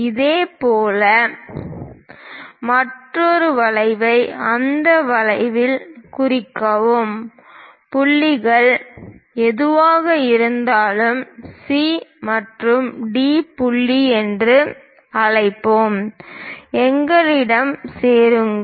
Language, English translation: Tamil, Similarly, mark another arc in that way; whatever the points are intersecting, let us call C point and D point; join them